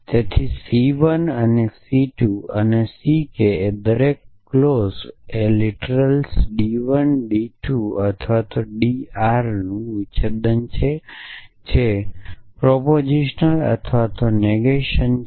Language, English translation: Gujarati, So, C 1 and C 2 and C k each clause is a disjunction of literals d 1 d 2 or d R each literal is either a proposition or it is negation